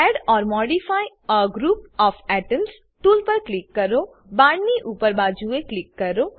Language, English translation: Gujarati, Click on Add or modify a group of atoms tool, click above the arrow